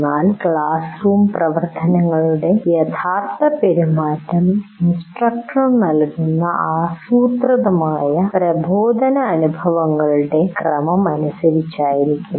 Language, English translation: Malayalam, But the actual conduct of the classroom activities will be as per the sequence of instructional experiences that you already, the instructor already planned